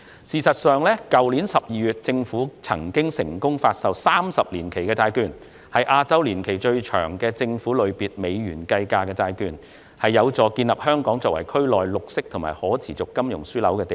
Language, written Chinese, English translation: Cantonese, 事實上，政府在去年12月已成功發售30年期債券，是亞洲年期最長的政府類別美元計價債券，有助建立香港作為區內綠色和可持續金融樞紐的地位。, In fact the Government successfully offered a 30 - year tranche in December last year which is the longest - tenor US dollar - denominated government bond in Asia . These are conducive to establishing Hong Kongs status as a green and sustainable finance hub in the region